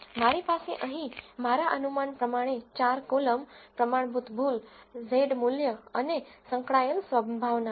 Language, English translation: Gujarati, I have 4 columns here I have the estimate, standard error, the z value and the associated probability